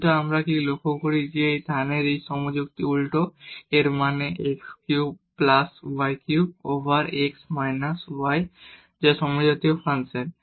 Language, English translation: Bengali, But what we notice that this argument of this tan inverse; that means, x cube plus y cube over x minus y that is a homogeneous function